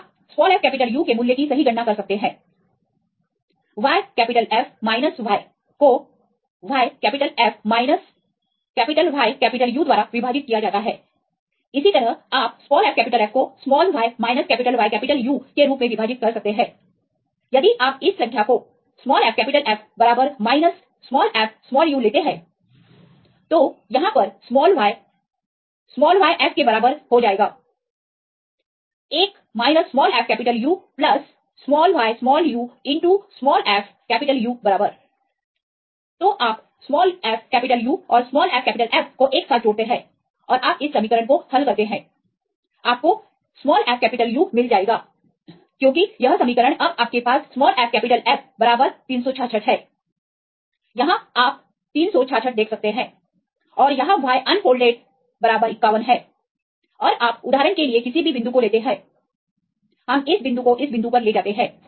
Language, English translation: Hindi, So, here this will become y equal to yF into one minus fU plus yu into fU right, then you combine together right the fU and fF and you solve this equation you will get fU as this equation now you have the values yF equal to 366, right here you can see the 366 and here y unfolded equal to 51 and you take any point for example we take this point right this point